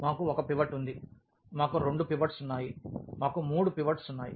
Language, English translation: Telugu, We have one pivot, we have two pivots, we have three pivots